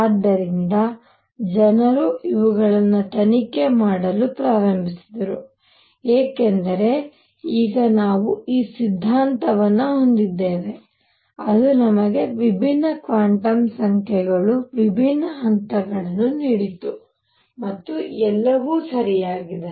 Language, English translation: Kannada, So, people started investigating these, because now we had this theory that gave us different quantum numbers, different levels and what all was there all right